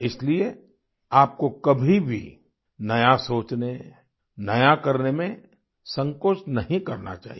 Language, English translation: Hindi, That is why you should never hesitate in thinking new, doing new